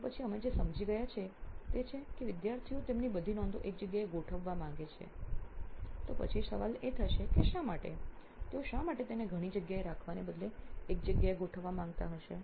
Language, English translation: Gujarati, So then what we understood is students want to organize all their notes in one place, then the question would be why, why would they want to organize it in one place instead of having it in several places